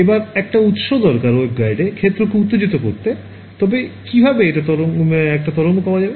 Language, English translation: Bengali, Next comes a source I need to put a source to excite some field in the waveguide how will I get the wave in there